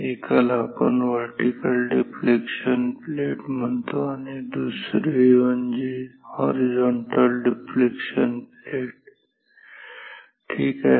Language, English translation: Marathi, One we call the vertical deflection plate and another is the horizontal deflecting plate ok